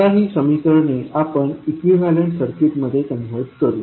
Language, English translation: Marathi, We will convert these equations into an equivalent circuit